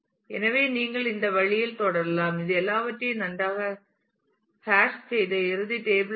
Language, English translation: Tamil, So, you can continue in this way and this is a final table where all things have been hashed well